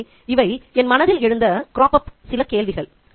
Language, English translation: Tamil, So, that's one question that comes to my mind